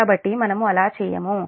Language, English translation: Telugu, so that's why this